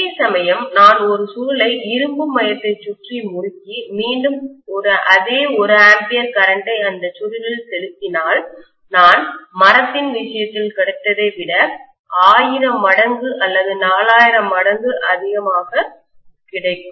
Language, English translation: Tamil, Whereas if I am winding a coil, again passing the same 1 ampere of current in a coil which is wound around an iron core I am going to get maybe 1000 times or 4000 times more than what I got in the case of wood